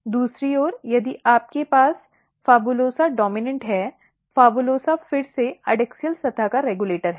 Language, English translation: Hindi, On the other hand if you have PHABULOSA dominant looking so, PHABULOSA is again regulator of adaxial surface it is it provides adaxial surface